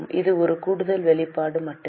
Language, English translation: Tamil, This is just an extra disclosure